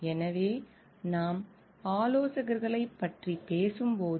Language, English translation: Tamil, So, when we are talking of consultants